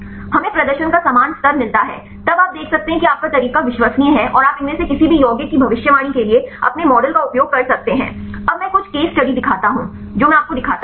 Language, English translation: Hindi, We get similar level of performance then you can see that your method is reliable and you can use your model for predicting any of these compounds; now I show the some case studies I show you